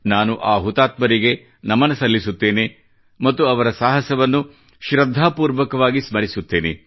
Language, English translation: Kannada, I bow to those martyrs and remember their courage with reverence